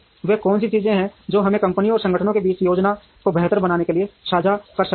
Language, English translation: Hindi, What are the things that we can share between companies and organizations to make the planning much better